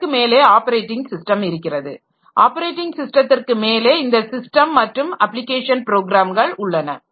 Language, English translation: Tamil, On top of operating system, we have got system and application programs